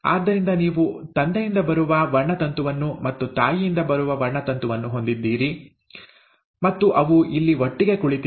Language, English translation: Kannada, So you have a chromosome coming from father, and a chromosome coming from mother, and they are sitting here together